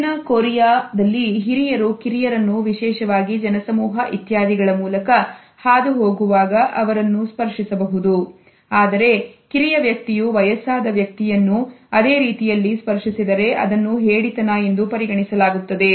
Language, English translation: Kannada, In South Korea, elders can touch younger people particularly when they are trying to get through a crowd etcetera, however it is considered to be very crowd if a younger person touches an elderly person in the same manner